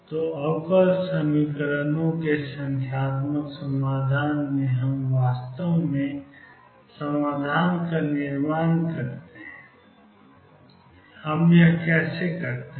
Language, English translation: Hindi, So, in numerical solution of differential equations we actually construct the solution how do we do that